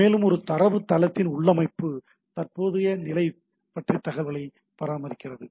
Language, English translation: Tamil, And that maintains information about the configuration and current state of the database, right